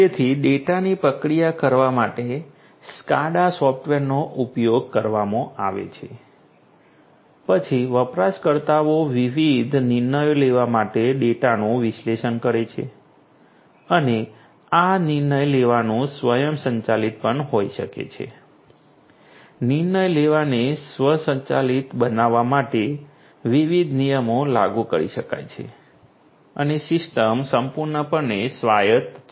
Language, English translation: Gujarati, So, you know SCADA software are used or deployed in order to process the data, then the users analyze the data to make the different decisions and this decision making can also be automated different rules could be implemented in order to make the decision making automated and the system fully autonomous